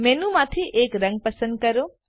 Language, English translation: Gujarati, Choose a colour from the menu